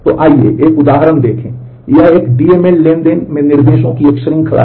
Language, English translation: Hindi, So, let us look at an example so, here it is a series of instructions in a in a DML transaction